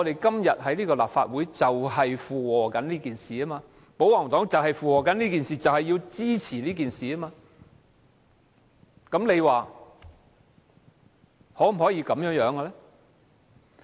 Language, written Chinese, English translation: Cantonese, 今天立法會正是在附和這件事，保皇黨正在附和這件事，支持這件事，大家認為這樣做正確嗎？, The Legislative Council is now going along with this the pro - Government camp is going along with this supporting it . Do everyone think this is right?